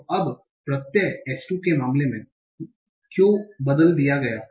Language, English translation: Hindi, So now the suffix Y has been changed to I in the case of H2